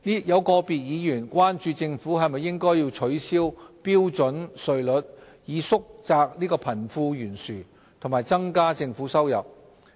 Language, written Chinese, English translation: Cantonese, 有個別議員關注政府應否取消標準稅率，以縮窄貧富懸殊和增加政府收入。, Some Members were concerned about whether the Government should abolish the standard rate so as to narrow the wealth gap and increase tax revenue